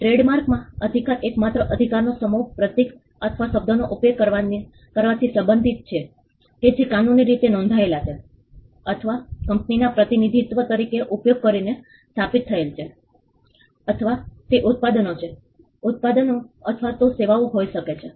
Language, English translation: Gujarati, The set of rights exclusive rights in trademark pertain to using a symbol or a word that is legally registered or established by used as representing a company or it is products; could be products or even services